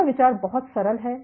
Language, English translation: Hindi, The idea is very simple